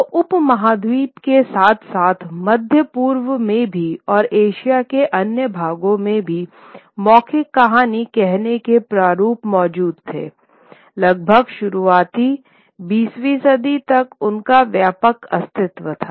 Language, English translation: Hindi, So, within the subcontinent as well as in the Middle East and other parts of Asia, storytelling, oral storytelling formats continue to have widespread existence till almost the early 20th century